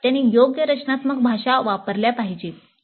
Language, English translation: Marathi, So they must use appropriate design languages